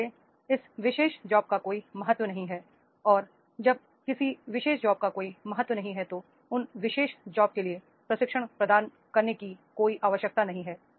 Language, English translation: Hindi, So there is no importance of this particular job and when there is no importance of particular jobs, there is no need for providing the training for this particular jobs